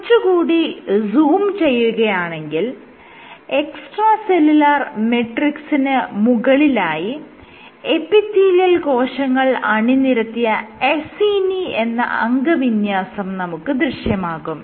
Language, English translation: Malayalam, So, if you zoom in even closer, so then what you see is there some extracellular matrix on top of which you have these epithelial cells and these structures are called Acini